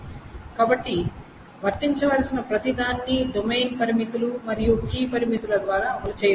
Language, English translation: Telugu, So everything that should hold can be enforced by simply the domain constraints and the key constraints